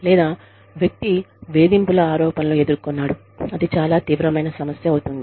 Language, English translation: Telugu, Or, the person has been accused, of harassment, that becomes, a very serious issue